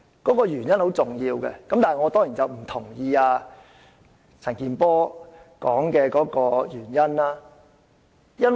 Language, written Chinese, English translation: Cantonese, 其實原因是很重要的，但我當然不認同陳健波議員提出的原因。, Reasons are indeed important but certainly I do not agree with the one given by Mr CHAN Kin - por